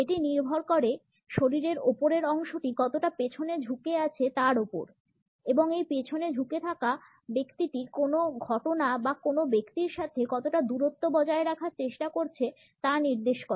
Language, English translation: Bengali, It depends on how far the upper part of the body is leaned back and this leaning back suggests the distance the person is trying to keep to some event or to some person